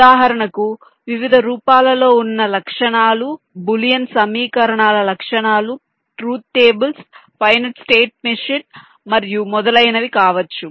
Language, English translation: Telugu, for example, boolean equations can be specifications, truth tables, finite state machines and etcetera